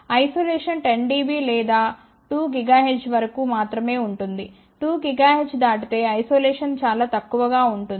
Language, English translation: Telugu, But isolation is only about 10 dB or so up to about 2 gigahertz; beyond 2 gigahertz isolation was very poor